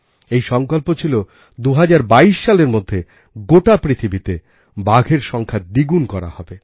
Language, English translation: Bengali, It was resolved to double the number of tigers worldwide by 2022